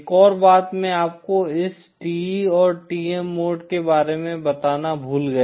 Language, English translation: Hindi, One other thing I forgot to tell you about this TE and TM modes